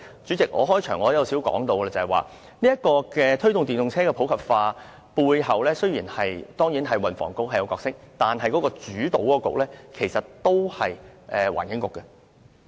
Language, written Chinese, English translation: Cantonese, 主席，我開場發言時也提過，雖然推動電動車普及化背後，運輸及房屋局當然有角色，但主導的政策局其實仍然是環境局。, Chairman as I said at the beginning of my speech although the Transport and Housing Bureau also has a role in promoting the popularization of EVs the policy is mainly guided by the Environment Bureau . As we can see the Government set down two objectives for the popularization of EVs some years ago